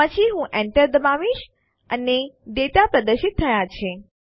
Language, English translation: Gujarati, Then I press enter and the data is displayed